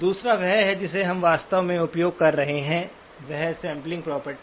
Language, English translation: Hindi, The second one is the one that we are actually using that is the sampling property